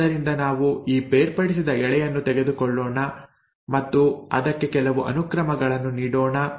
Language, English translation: Kannada, So let us take this separated strand and let us let us give it some sequence